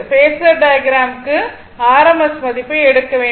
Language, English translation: Tamil, This is phasor diagram is drawn, that is why rms value is taken, right